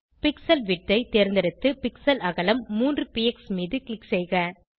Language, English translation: Tamil, Select Pixel width and click on the pixel width 3 px